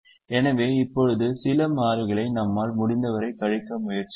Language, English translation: Tamil, so now let us try and subtract some constant and try to subtract as much as we can